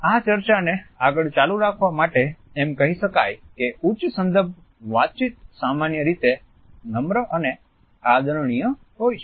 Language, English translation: Gujarati, To continue this argument further, we can say that a high context communication is normally polite and respectful